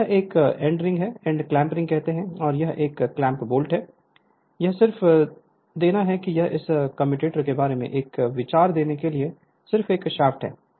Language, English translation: Hindi, And this is end clamp ring and this is clamp bolt, this is just to give your then this is a shaft just to give one ideas about this commutator right